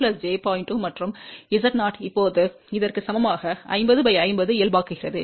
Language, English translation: Tamil, 2 and Z 0 is now equal to this is also normalize 50 by 50